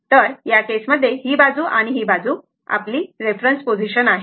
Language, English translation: Marathi, So, in this case, so this side and that side, this is your our reference position